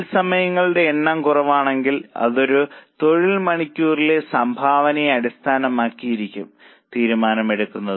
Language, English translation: Malayalam, If number of labour hours are in short supply, the decision making will be based on contribution per labour hour